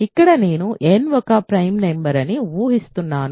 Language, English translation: Telugu, So, here I am assuming n is a prime number